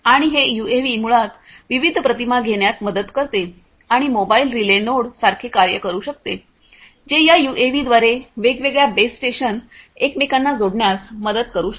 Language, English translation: Marathi, And this UAV basically helps in taking the different images and can also act like a mobile relay node, which can help connect different base stations to each other through this UAV